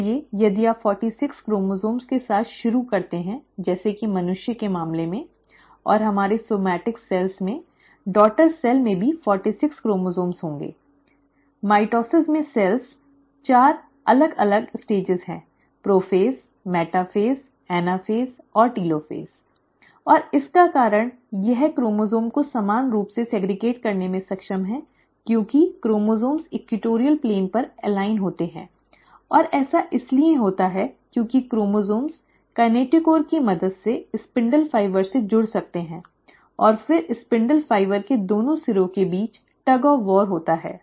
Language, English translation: Hindi, So if you start with forty six chromosomes as in case of human beings, and in our somatic cells, the daughter cells will also have forty six chromosomes, and, the cells in mitosis, there are four different stages; prophase, metaphase, anaphase and telophase, and the reason it is able to segregate the chromosomes equally is because the chromosomes align at the equatorial plane and that is because the chromosomes can attach to the spindle fibres with the help of kinetochore and then there is a tug of war between the two ends of the spindle fibre